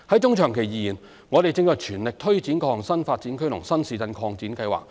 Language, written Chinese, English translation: Cantonese, 中長期而言，我們正全力推展各項新發展區和新市鎮擴展計劃。, In the medium to long term we are now pressing ahead with various New Development Areas NDAs and New Town Extension projects